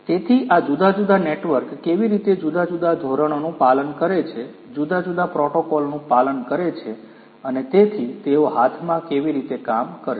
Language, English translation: Gujarati, So, how these different networks following different standards, following different you know protocols and so on how they are going to work hand in hand